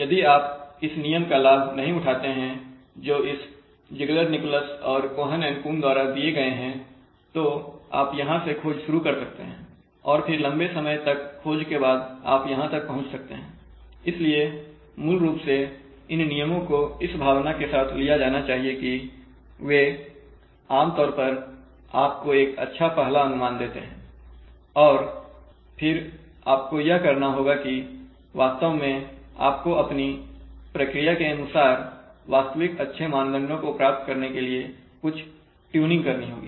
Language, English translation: Hindi, Well if you if you do not have the benefit of this rule which is given by this Ziegler Nichols Cohen and Coon a kind of rules then you may search start search from here and then after long amount of search you may reach here, so it is basically, these rules should be treat taken in that spirit that they generally give you a good first guess for the values and then you have to, you may have to do some amount of tuning to actually be able to get these real good parameters, controller parameters for your process right